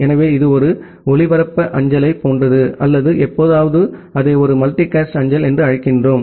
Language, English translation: Tamil, So, it is similar to like a broadcast mail or sometime we call it as a multicast mail